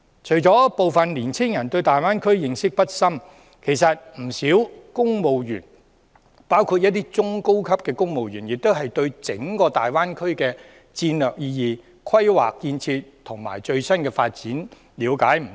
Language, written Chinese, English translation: Cantonese, 除了部分年青人對大灣區認識不深外，其實不少公務員，包括一些中高級的公務員亦對整個大灣區的戰略意義、規劃建設和最新發展了解不多。, Some young people do not have an in depth understanding of the Greater Bay Area . In addition many civil servants including some middle to senior level civil servants know little about the strategic significance planning and construction as well as the latest development of the entire Greater Bay Area